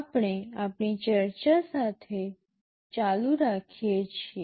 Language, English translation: Gujarati, We continue with our discussion